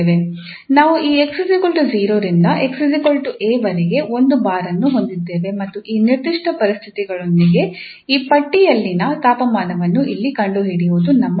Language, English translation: Kannada, So we have a bar from this x equal to 0 to x is equal to b and our interest is to find the temperature in this given bar and given these conditions here, in this direction we have the time